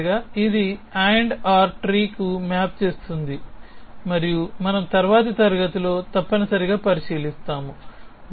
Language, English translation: Telugu, So, essentially it maps to AND OR tree and we will look at that in the next class essentially